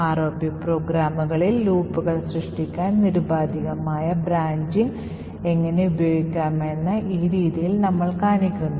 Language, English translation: Malayalam, So, in this way we show how we can use unconditional branching to create loops in our ROP programs